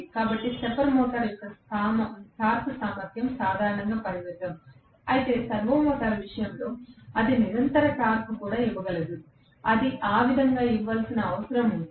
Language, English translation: Telugu, So, the torque capability of the stepper motor is generally limited, whereas in the case of servo motor it can give continuous torque also, if it is needed to be given that way